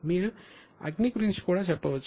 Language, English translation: Telugu, Same way you can also say about fire